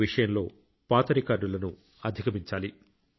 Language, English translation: Telugu, should break all old records